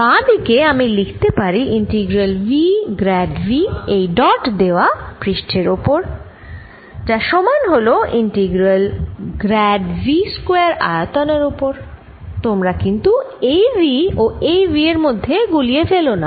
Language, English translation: Bengali, the left hand side i can write as integral v grad v dotted with surface is equal to integral grad v square over the volume